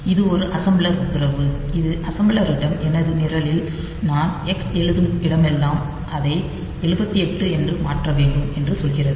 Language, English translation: Tamil, So, this is a assembler directive that tells the assembler that in my program wherever I am writing X you should replace it with 78